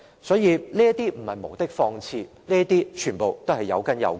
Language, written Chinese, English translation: Cantonese, 因此，這些並非無的放矢，全部也是有根有據的。, Hence these things are not groundless . Everything is well - founded with justifications